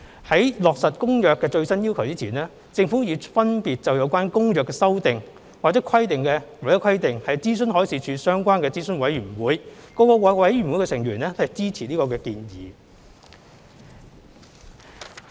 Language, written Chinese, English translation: Cantonese, 在落實《公約》的最新要求前，政府已分別就有關《公約》的修訂或規定諮詢海事處相關的諮詢委員會，各委員會的成員均支持建議。, Before implementing the latest requirements under the Convention the Government had consulted the relevant advisory committees under the Marine Department on the amendments made under the Convention and members of all advisory committees supported the proposal